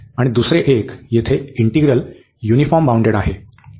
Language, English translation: Marathi, And the other one, here this integral is uniformly bounded